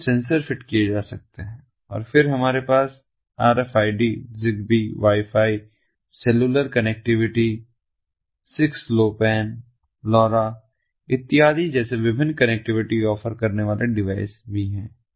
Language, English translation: Hindi, different sensors can be fitted ah, and then, and we also have ah, different connectivity offering devices such as rfids, zigbee, ah, wifi, ah wifi, ah, cellular connectivity, six lowpan lora ah, and so on and so forth